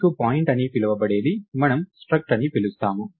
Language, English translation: Telugu, So, you have a something called a point which we call a struct